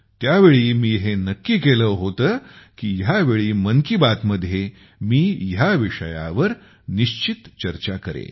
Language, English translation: Marathi, At that very moment I had decided that I would definitely discuss mathematics this time in 'Mann Ki Baat'